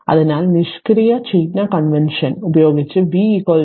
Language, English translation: Malayalam, So, by using the passive sign convention right v is equal to L into di by dt